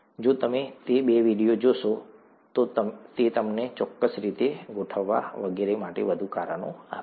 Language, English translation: Gujarati, If you look at those two videos, it’ll give you more reasons for, organizing it a certain way, and so on